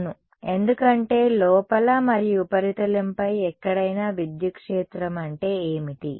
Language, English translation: Telugu, Yes, that because any where inside and on the surface what is the electric field